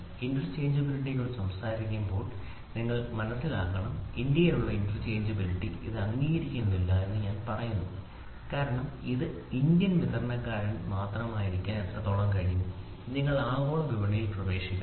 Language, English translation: Malayalam, See you should understand when I try to talk about interchangeability and I say interchangeability within India it is not accepted because how long can it be only an Indian supplier, you have to get into the global market